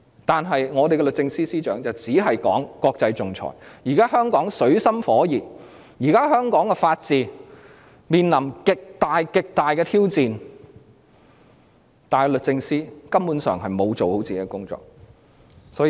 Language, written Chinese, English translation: Cantonese, 然而，律政司司長只懂談論國際仲裁，香港現在水深火熱，法治面臨極大、極大的挑戰，但律政司司長根本沒有做好自己的工作。, Nonetheless the Secretary for Justice has merely talked about international arbitration . Hong Kong is now in deep water and the rule of law is facing extremely enormous challenges yet the Secretary for Justice has failed to do her job properly